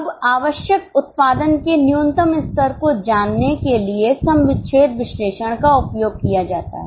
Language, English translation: Hindi, Now, break even analysis is used to know the minimum level of production required